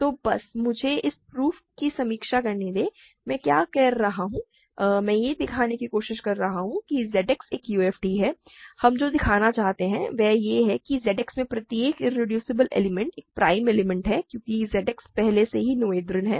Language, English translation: Hindi, So, just let me review the proof what am I doing I am trying to show that ZX is a UFD; what we want to show is that every irreducible element in Z X is a prime element because Z X already is noetherian